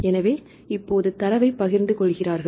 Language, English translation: Tamil, So, they share the data